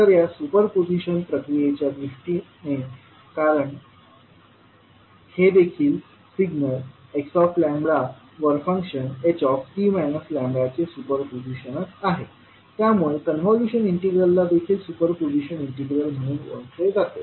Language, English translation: Marathi, So in view of this the super position procedure because this also super position of function h t minus lambda over x lambda, the convolution integral is also known as the super position integral